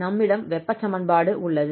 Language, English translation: Tamil, So we have here the heat equation